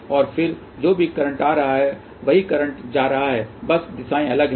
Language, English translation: Hindi, And then again whatever is the current coming in the same current is going just the directions are different